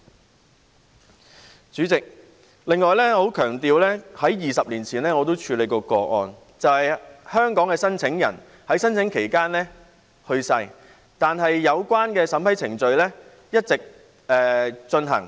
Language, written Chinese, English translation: Cantonese, 此外，主席，我要強調我在20年前也曾處理過一些個案，是香港的申請人在申請期間去世，但有關的審批程序一直進行。, In addition President I would like to emphasize that I dealt with a number of cases 20 years ago in which the Hong Kong applicants died during the application period but the relevant approval procedures were ongoing